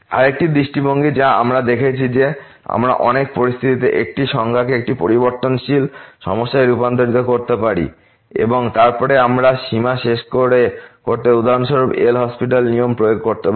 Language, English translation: Bengali, Another approach we have seen that we can convert in many situation a number into one variable problem and then, we can apply L’Hospital’ rule for example, to conclude the limit